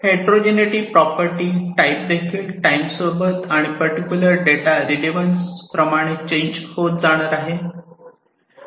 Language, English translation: Marathi, The type of heterogeneity is also going to change with over time plus this relevance of this particular data